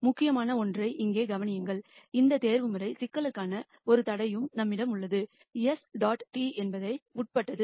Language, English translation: Tamil, And notice here something that is important we also have a constraint for this optimization problem s dot t dot means subject to